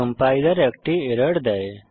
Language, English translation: Bengali, The compiler gives an error